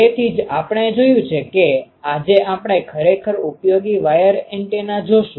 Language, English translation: Gujarati, Today we will see a really useful antenna